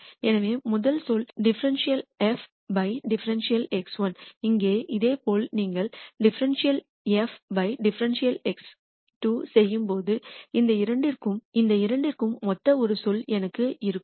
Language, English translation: Tamil, So, the rst term is dou f dou x 1 here similarly when you do dou f dou x 2, I will have a term corresponding to this two